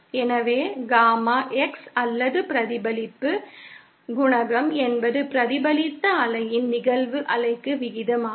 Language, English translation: Tamil, So, Gamma X or the reflection coefficient is simply the ratio of the reflected wave to the incident wave